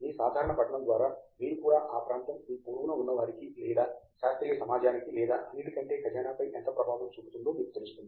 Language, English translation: Telugu, You also have through your general reading you will also have a sense of how much impact that area has to the neighborhood you are in or to the scientific community or the vault over all